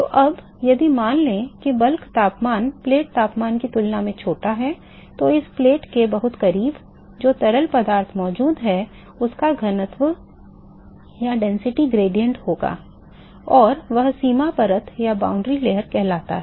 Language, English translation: Hindi, So now, if supposing the bulk temperature is smaller than that of the plate temperature, then very close to this plate, the fluid which is present is now going to have a density gradient, and that leads to what is called the boundary layer